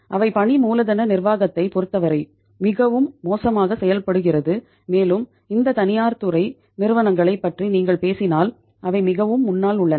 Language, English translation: Tamil, They are means performing so bad as far as the working capital management is concerned and if you talk about these private sector companies they are far ahead